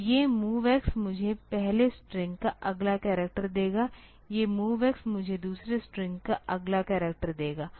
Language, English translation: Hindi, So, these MOV X will get me the next character of first string, these MOV X will get me the next character of the second string